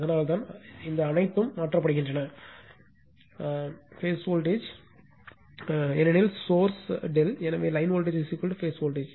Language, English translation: Tamil, That is why all these thing is replaced by phase voltage because your source is delta right, so line voltage is equal to phase voltage